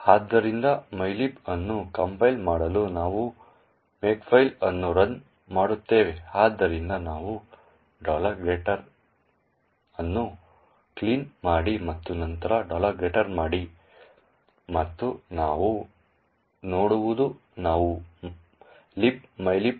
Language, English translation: Kannada, So, in order to compile the mylib we run the makefile, so we run make clean and then make and what we see is that we are able to create library libmylib